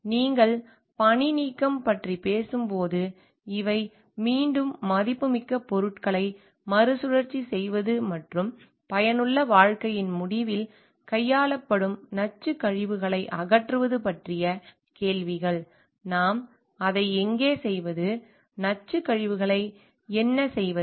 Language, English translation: Tamil, And when you are talking about decommissioning, so, these are again questions of recycling the valuable materials and disposal of toxic wastes handled at the end of the useful life, where do we do it, what we do with the toxic wastes